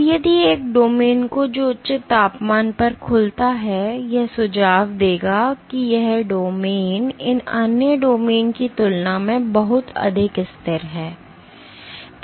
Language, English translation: Hindi, Now, if a domain which unfolds at a higher temperature, this would suggest that this domain is much more stable than any of these other domains